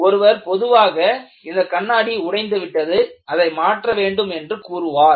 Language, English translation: Tamil, A common man will only say the glass is broken, replace the glass